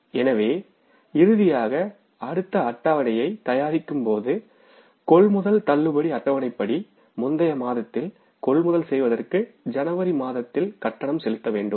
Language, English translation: Tamil, So finally, while preparing the next schedule, purchase disbursement schedule, we will have to make the payment in the month of January for the purchases of the previous month and previous month is December